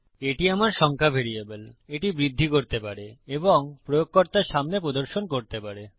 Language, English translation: Bengali, This is my number variable, this can increment and can be echoed out to the user